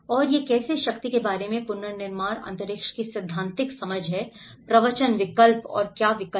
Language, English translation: Hindi, And this is how the theoretical understanding of the reconstruction space about the how power, discourse, options and choices